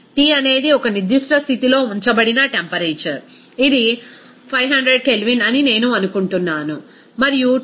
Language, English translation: Telugu, T is the temperature at a certain condition it is kept, this is I think 500 K and Tc